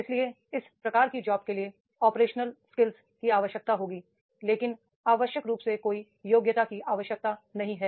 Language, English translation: Hindi, So the set of jobs that will require the operational skills but no qualification necessarily is required